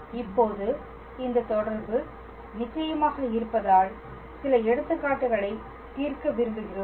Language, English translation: Tamil, Now that we have this relation of course, we would like to solve few examples